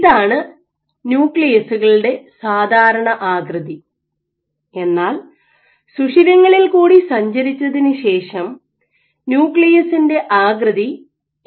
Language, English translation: Malayalam, So, this is a regular shape of nuclei after migrating through the pores they had this kind of shapes